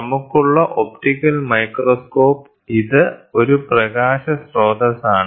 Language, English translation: Malayalam, So, an optical microscope we have this is a light source